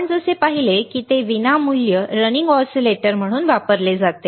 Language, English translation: Marathi, You as you see that it is used as free running oscillators